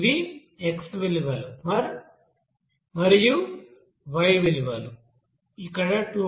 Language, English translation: Telugu, These are the x values and y values are here 2